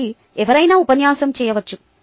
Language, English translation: Telugu, so anyone can lecture